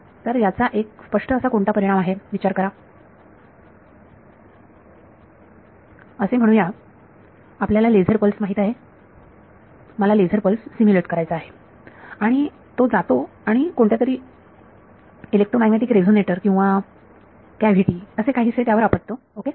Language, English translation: Marathi, So, what is sort of one very obvious consequence of this is think of let say you know laser pulse I want to simulate a laser pulse and it goes and hits some electromagnetic resonator or cavity or something ok